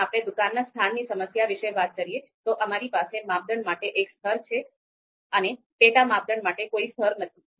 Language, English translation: Gujarati, So if we talk about this problem, shop location problem, so we have just one level for criteria there is no level for sub criteria